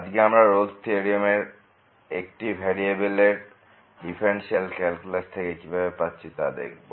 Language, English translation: Bengali, And, today we will be discussing the Rolle’s Theorem from differential calculus of variable one